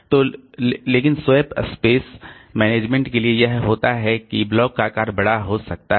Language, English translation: Hindi, So, but for the swap space management what happens is that the block size may be larger